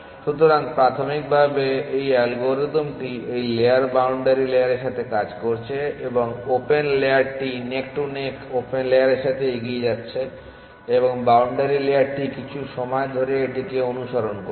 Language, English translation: Bengali, So, initially this algorithm is working with this layer boundary layer and the open layer going neck to neck open layer is moving forward the boundary layer is just following it at some point